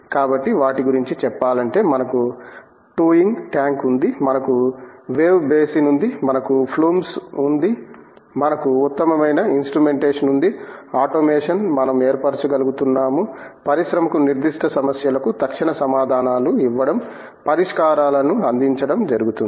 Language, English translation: Telugu, So, to name them we have the towing tank, we have wave basin, we have the flumes, we have the best of instrumentation, automation that we are able to form, give solutions to the industry by giving them immediate answers to specific problems